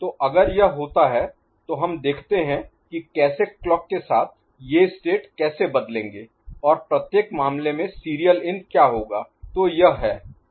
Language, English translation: Hindi, So, if this thing happens, then let us see how the with clock, these states will evolve and what will be the serial in in each case